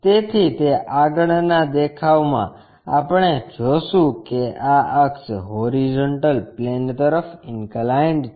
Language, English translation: Gujarati, So, in that front view we will see this axis is inclined to horizontal plane